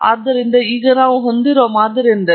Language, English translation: Kannada, So, we have a model